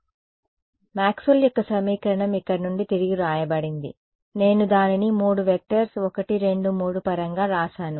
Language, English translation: Telugu, So, Maxwell’s equation were re written in this no problem from here I wrote it in terms of 3 vectors 1 2 3